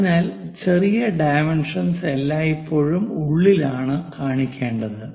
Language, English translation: Malayalam, So, smaller dimensions are always be inside